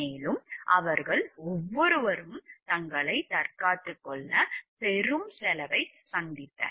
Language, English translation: Tamil, And each of them incurred great cost defending themselves